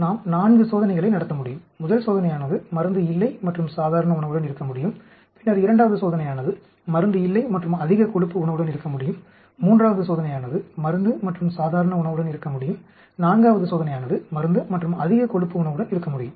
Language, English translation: Tamil, We could conduct 4 experiments, the first experiment could be with no drug and normal diet then second experiment could be no drug and high fat diet, third experiment could be drug and normal diet, the forth experiment could the drug and high fat diet